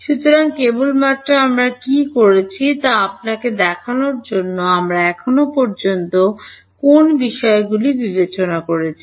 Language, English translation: Bengali, So, just to show you what we have done, we have considered which points so far